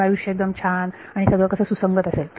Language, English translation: Marathi, Then life is good and everything is consistent